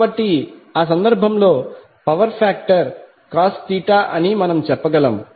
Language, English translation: Telugu, So in that case what we can say that the power factor is cos Theta